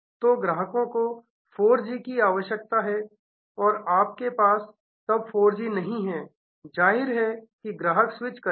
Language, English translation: Hindi, So, customer needs 4G and you have do not have 4G then; obviously, customer will switch